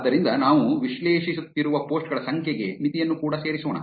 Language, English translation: Kannada, So, let us also add a limit for the number of posts that we are analyzing